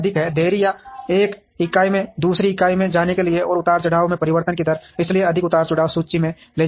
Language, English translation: Hindi, Delay or time taken to move from one entity to another and the rate of change of the fluctuations, so more the fluctuations higher the inventory